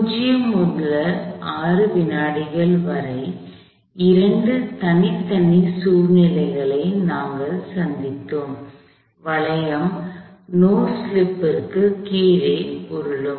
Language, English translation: Tamil, We encountered two separate situations for the duration from 0 to 6 seconds; the hoop was rolling under no slip